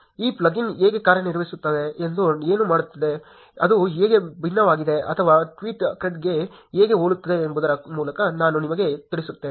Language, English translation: Kannada, Let me just walk you through how this plugin works, what does it do, how is it different or how is it very similar to tweetcred